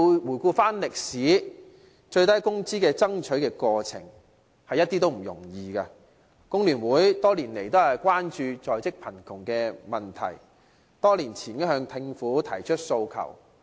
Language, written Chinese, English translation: Cantonese, 回顧歷史，爭取最低工資的過程一點也不容易，工聯會多年來均關注在職貧窮的問題，多年前已向政府提出訴求。, The Hong Kong Federation of Trade Unions FTU has over the many years been keenly concerned about the problem of in - work poverty and raised the appeal with the Government many years ago